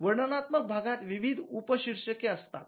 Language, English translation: Marathi, So, the descriptive part has various subheadings